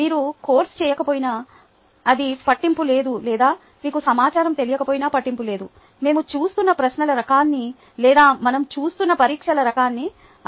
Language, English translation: Telugu, or even if you dont know the information doesnt matter to be able to appreciate the kind of questions that we are looking at or the kind of testing that we are looking at